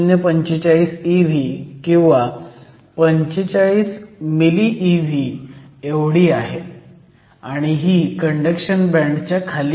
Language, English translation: Marathi, 045 E v or 45 milli E v and this is below the conduction band